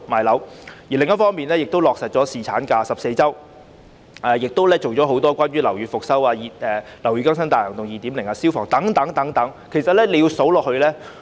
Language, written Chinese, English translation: Cantonese, 另一方面，她又落實把產假延長至14周和推動樓宇復修工作，例如"樓宇更新大行動 2.0" 及消防安全改善工程資助計劃等。, On the other hand she also implemented the extension of the maternity leave period to 14 weeks and promoted building rehabilitation initiatives such as Operation Building Bright 2.0 and the Fire Safety Improvement Works Subsidy Scheme